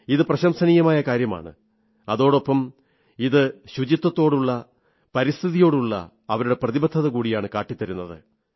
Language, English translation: Malayalam, This deed is commendable indeed; it also displays their commitment towards cleanliness and the environment